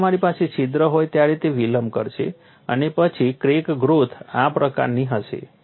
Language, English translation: Gujarati, When you have a hole it I will delay and then crack growth will be like this